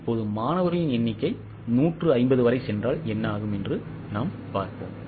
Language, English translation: Tamil, Now let us see what happens if number of students go up to 150